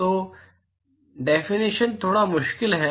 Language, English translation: Hindi, So, the definition is a bit tricky